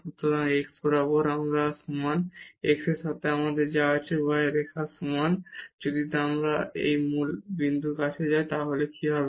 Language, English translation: Bengali, So, along this x is equal to y, what we have along x is equal to y line if we approach to this origin point here what will happen